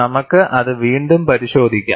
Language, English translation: Malayalam, We will again have a look at that